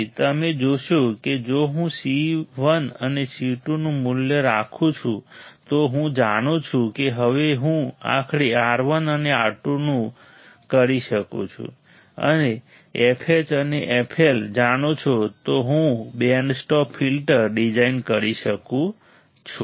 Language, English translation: Gujarati, Then you see if I keep value of C 1 and C 2, I know now I can finally, of R 1 and R 2 and you know f H and f L the n I can design the band stop filter